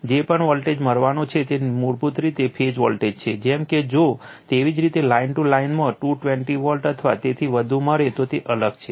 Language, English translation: Gujarati, whatever voltage is going to get, it is basically the phase voltage like if you get 220 volt or so right in line to line is different